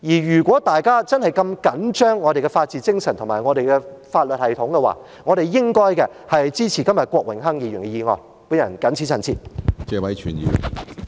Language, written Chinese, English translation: Cantonese, 如果大家真的如此緊張我們的法治精神及法律系統，便應該支持郭榮鏗議員今天的議案。, If we are really so concerned about our spirit of the rule of law and our legal system we should support todays motion moved by Mr Dennis KWOK